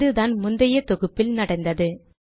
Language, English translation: Tamil, So this is what happened in the previous compilation